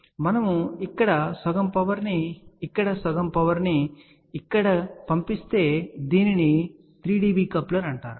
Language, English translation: Telugu, So, if we send half power here half power here this is known as a 3 dB coupler